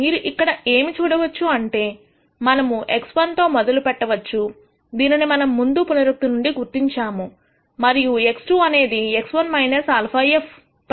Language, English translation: Telugu, What you can see here is now, we start with X 1 which was what we identi ed from the previous iteration and X 2 is X 1 minus alpha f prime X 1